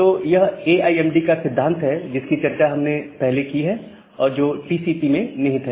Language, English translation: Hindi, So, this AIMD principle that we discussed earlier is incorporated in TCP